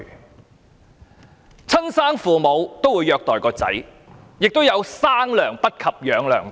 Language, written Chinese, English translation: Cantonese, 有親生父母虐待子女，亦有"生娘不及養娘大"。, Some natural parents abuse their children while some adoptive parents love their adoptive children more than the natural parents